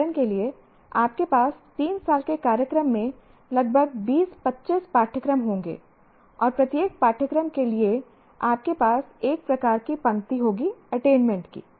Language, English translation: Hindi, For example, you will have something like about 20, 25 courses in a three year program and for each course you have one row like this of attainment